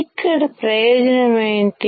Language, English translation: Telugu, What is the advantage here